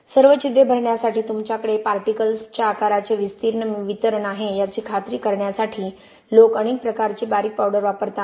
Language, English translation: Marathi, There is lot of different types of fine powders people use again the idea is to make sure that you have wider particles size distribution to fill in all the pores